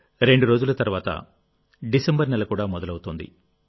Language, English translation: Telugu, we are now entering the month of December